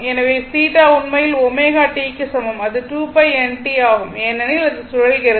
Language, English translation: Tamil, So, theta actually is equal to omega t that is 2 pi n t because it is rotating